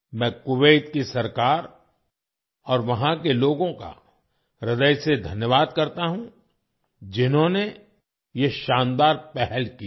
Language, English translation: Hindi, I thank the government of Kuwait and the people there from the core of my heart for taking this wonderful initiative